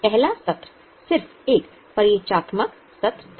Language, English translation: Hindi, In the first session it was just an introductory session